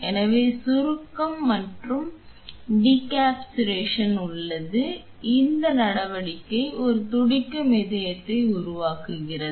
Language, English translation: Tamil, So, there is compression and decompression this action creates a pulsating movement